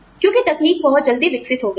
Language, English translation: Hindi, Because, technology has developed, so fast